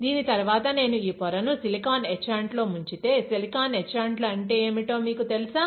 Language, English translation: Telugu, After this if I dip this wafer in silicon etchant, you know what are the silicon etchants